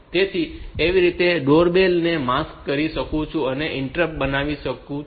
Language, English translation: Gujarati, So, that way we can make that that door bell a maskable interrupt